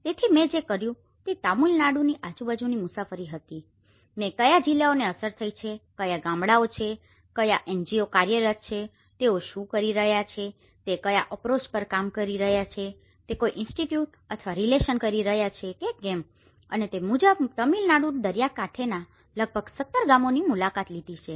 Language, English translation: Gujarati, So, what I did was I travelled around Tamilnadu, I have taken a lot of statistical information of the damage statistics what districts have been affected, what are the villages, what are the NGOs working on, what approaches they are doing whether they are doing Institute or a relocation and accordingly have visited about 17 villages along the stretch of Tamilnadu coast